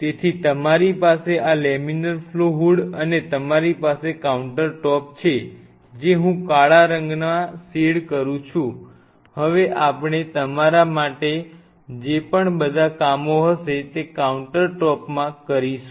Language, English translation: Gujarati, So, you have this laminar flow hoods here you have the counter top of course, which I am shading in black now we are the countertop for you for all other works whatever